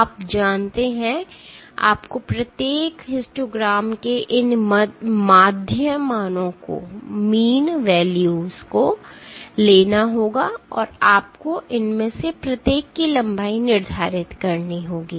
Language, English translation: Hindi, You know, you have to take this value these mean values of each of the histograms and you have to assign this each of these lengths